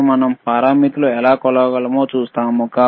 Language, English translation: Telugu, And we will we will see how we can measure the parameters